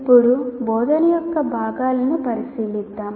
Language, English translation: Telugu, Now let us look at components of teaching